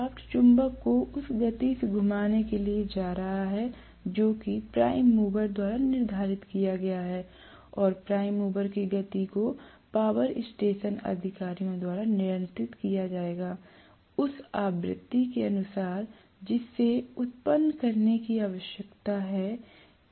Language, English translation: Hindi, The shaft is going to rotate the magnet in the speed whatever is dictated by the prime mover and the prime mover speed will be controlled by the power station authorities, according to the frequency that needs to be generated